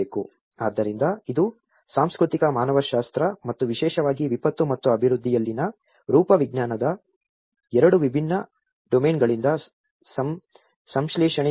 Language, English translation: Kannada, So that is where it’s synthesis from two different domains of work that is the cultural anthropology and the morphology especially in the disaster and development set up